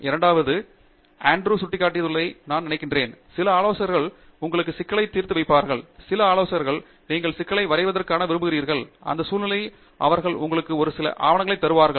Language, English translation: Tamil, And secondly, I think what Andrew was pointing out is some advisors would define the problem for you upfront, where as some advisors would like you to define the problem, and in that context, they will give you a few papers and so on